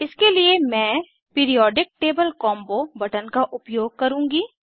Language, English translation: Hindi, For this I will use Periodic table combo button